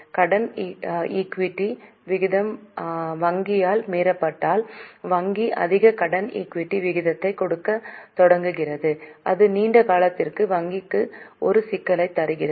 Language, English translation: Tamil, If the debt equity ratio is violated by bank, banks start giving more debt equity ratio, it gives a problem to the bank in the long run